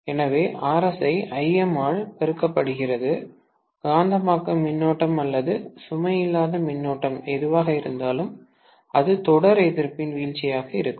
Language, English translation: Tamil, So, Rs multiplied by Im, whatever is the magnetising current or the no load current, that will be the drop across the series resistance